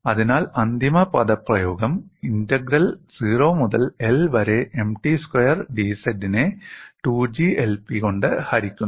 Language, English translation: Malayalam, So, you get the final expression as integral 0 to l M t squared divided by 2 G I P d z